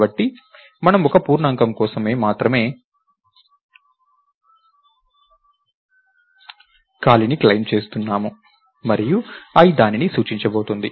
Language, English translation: Telugu, So, we are claiming space only for one integer and i is going to point to it